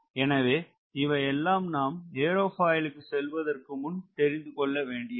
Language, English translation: Tamil, so these are few things you must ah understand before we go into the aerofoil